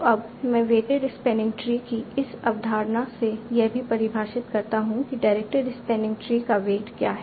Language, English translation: Hindi, So now by this concept of weighted sparing tree, I have also defined what is the weight of a directed spanning tree